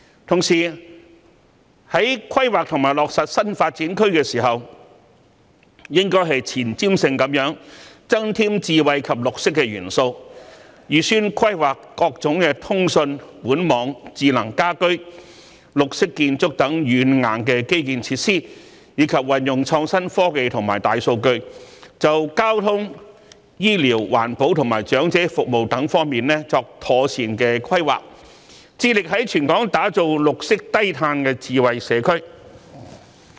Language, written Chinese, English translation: Cantonese, 同時，在規劃及落實新發展區時，應前瞻性地增添智慧及綠色元素，預先規劃各種通訊、管網、智能家居、綠色建築等軟硬基建設施，以及運用創新科技及大數據，就交通、醫療、環保及長者服務等方面作出妥善規劃，致力於全港打造綠色低碳的智慧社區。, Meanwhile it should plan and implement the development of new development zones with foresight by incorporating smart and green elements making forward planning for various software and hardware infrastructure like communication systems pipe networks intelligent home systems green building design and using innovative technologies and big data to draw up proper planning for transportation medical care environmental protection and elderly services thereby striving to create green and low - carbon smart communities all over Hong Kong